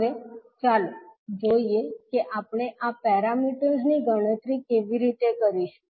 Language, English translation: Gujarati, Now, let us see how we will calculate these parameters